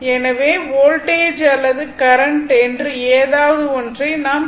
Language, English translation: Tamil, So, just either voltage or current something, you have to assume right